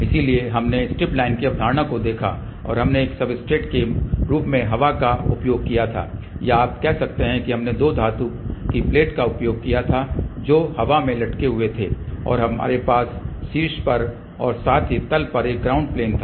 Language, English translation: Hindi, So, we looked at the concept of the stripline and we had used air as a substrate or you can say that we had used two metallic plate which were suspended in the air and we had a ground plane on the top as well as at the bottom